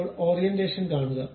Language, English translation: Malayalam, Now, see the orientation